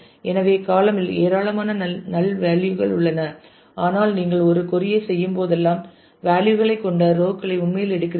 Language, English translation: Tamil, So, there are column have lot of null values, but whenever you do a query then you actually take out rows which have values